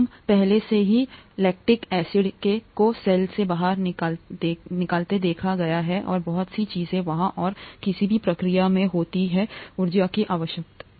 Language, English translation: Hindi, We already saw lactic acid going out of the cell and so many things happen there and any process requires energy